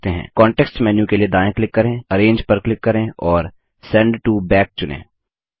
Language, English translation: Hindi, Right click for the context menu, click Arrange and select Send to Back